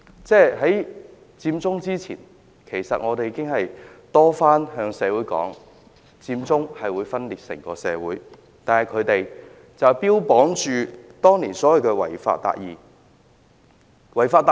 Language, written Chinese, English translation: Cantonese, 在佔中之前，其實我們已多番向社會指出，佔中會分裂整個社會，但他們當年卻標榜所謂的違法達義。, Before the movement took place we had repeatedly pointed out that it would cause division in the entire society but they advocated the idea of achieving justice by violating the law